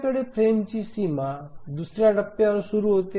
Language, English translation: Marathi, So we have the frame boundary starting at this point